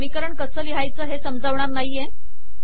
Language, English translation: Marathi, I am not going to explain how to write these equations